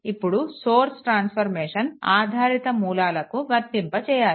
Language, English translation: Telugu, Now source transformation also applied to dependent sources